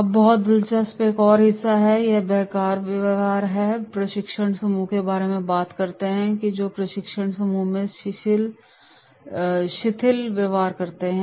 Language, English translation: Hindi, Now very interesting another part and it talks about dysfunctional behaviour and training group that is what is the dysfunctional behaviour in training group